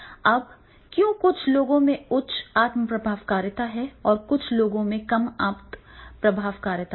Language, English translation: Hindi, Now, why some people have high self afficcacity and some people have the low self afficacy